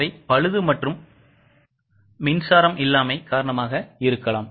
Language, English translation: Tamil, There can be breakdowns or power failures